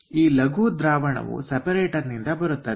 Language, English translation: Kannada, so this lean solution comes from the separator